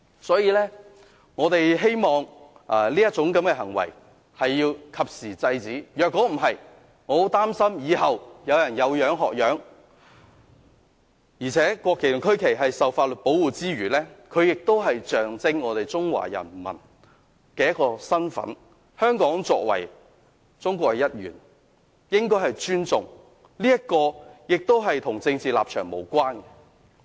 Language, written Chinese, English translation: Cantonese, 所以，我們希望及時制止這種行為，否則，我很擔心以後有人會"有樣學樣"，而且國旗和區旗受法律保護之餘，也象徵我們中國人民的身份，香港作為中國的一部分，應該尊重國旗和區旗，這與政治立場無關。, Therefore we hope to promptly put an end to such behaviour otherwise I am worried that others will follow suit . Besides not only are the national and regional flags protected by law they also represent our identity as the people of China . Hong Kong is a part of China so the national and regional flags should be respected